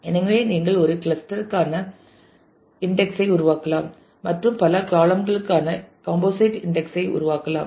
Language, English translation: Tamil, So, you can create an index for a cluster also and you can create index for composite index for multiple columns